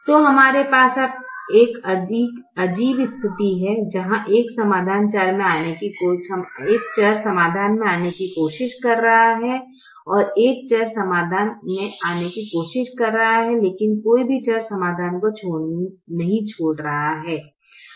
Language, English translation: Hindi, so we have a peculiar situation where a variable is trying to come into the solution, a variable is trying to come into the solution, but no variable is leaving the solution